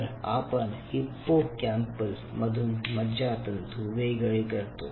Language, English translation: Marathi, ok, so from the hippocampus you take out the neurons